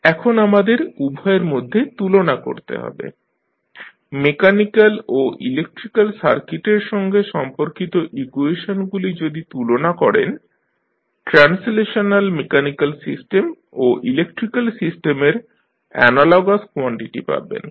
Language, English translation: Bengali, Now, let us compare both of them, so, if you compare the equations related to mechanical and the electrical circuit, we will get the analogous quantities of the translational mechanical system and electrical system